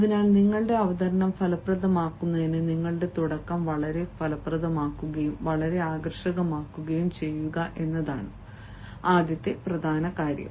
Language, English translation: Malayalam, so in order to make your presentation effective, the first important thing is to make your beginning very effective, very captivating, very attractive